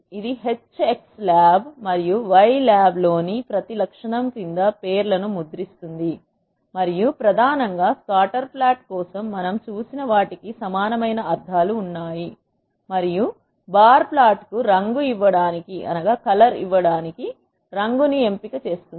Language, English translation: Telugu, it will print the names under the each attribute in the H x lab and y lab, and main has a same meanings as what we have seen for the scatterplot, and colour gives us an option to give colour to the bar plot